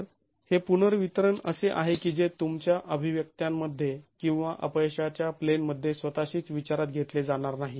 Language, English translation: Marathi, So, this redistribution is something that is not going to be considered in your, in the expressions or the failure plane itself